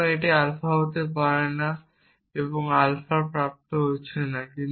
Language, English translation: Bengali, So, you cannot have alpha and not alpha being derived